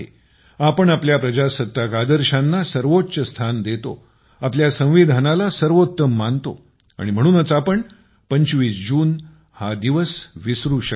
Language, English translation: Marathi, We consider our democratic ideals as paramount, we consider our Constitution as Supreme… therefore, we can never forget June the 25th